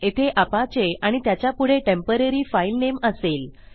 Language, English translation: Marathi, Youll have apache here followed by your temporary file name